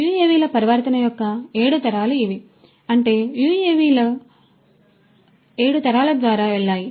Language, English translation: Telugu, These are the 7 generations of the transformation of UAVs; that means, the UAVs have gone through 7 generations